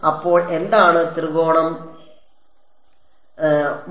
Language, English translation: Malayalam, So, what is triangle 1